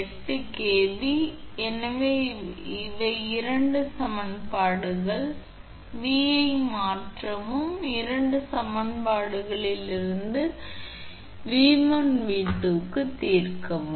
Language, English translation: Tamil, 8 kV so just two equations, so substitute V and you just solve for V1 and V2 from any two equations right